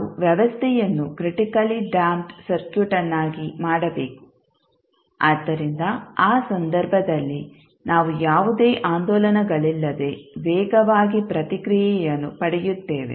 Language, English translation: Kannada, We have to make the system critically damped circuit, so in that case we will get the fastest response without any oscillations